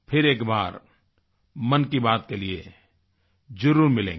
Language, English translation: Hindi, We will meet once again for 'Mann Ki Baat' next time